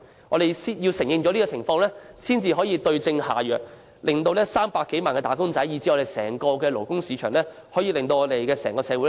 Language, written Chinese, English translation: Cantonese, 我們必先承認這個問題，才能對症下藥，令300多萬名"打工仔"，以至整個勞工市場進而整個社會得益。, We must first admit this problem in order to prescribe the right remedy so that some 3 million wage earners then the entire labour market and subsequently the whole society can benefit